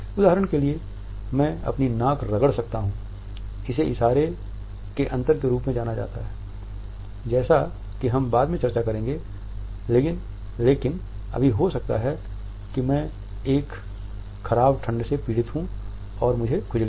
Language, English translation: Hindi, For example, I may rub my nose, it is known as a difference of gesture as we would discuss later on, but right now maybe I am suffering from a bad cold and I have an a itching